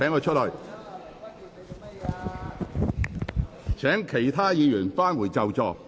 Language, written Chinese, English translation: Cantonese, 請各位議員返回座位。, Will Members please return to your seats